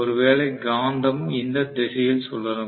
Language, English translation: Tamil, And maybe the magnet is rotated in this direction